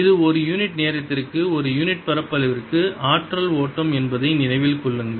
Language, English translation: Tamil, keep in mind that this is energy flow per unit area, per unit time